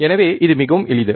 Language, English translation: Tamil, So, it is extremely simple